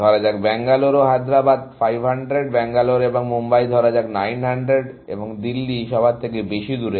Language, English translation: Bengali, Let us say, Bangalore and Hyderabad, let us say, 500; Bangalore and Mumbai is, let us say, 900; and Delhi is the farthest from everything